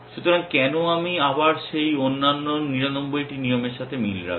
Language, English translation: Bengali, So, why should I match those other 99 rules again